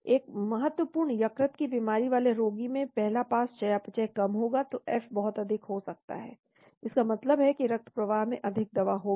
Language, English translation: Hindi, In a patient with significant liver disease the first pass metabolism is less, so F could be very high that means more drug will be there in the bloodstream